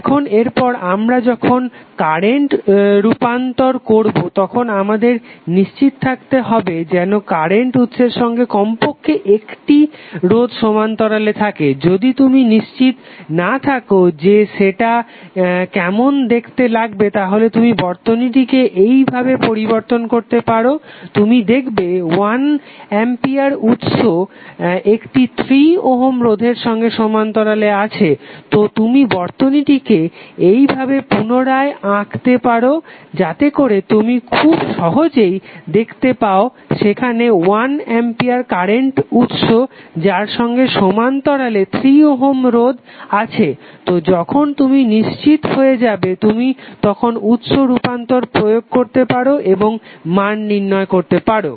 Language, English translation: Bengali, Now next is that in the similar way when we do current transformation we have to always be sure that the current source have at least one resistance in parallel, if you are not sure how it will be looking like you can modify the circuit slightly like here, you see 1 ampere current source is in parallel with 3 ohm so you can rewrite redraw the circuit in this fashion so, that you can easily see that there is 1 ampere current source in parallel with 3 ohm resistance so, when you are sure, then you can apply the source transformation and get the value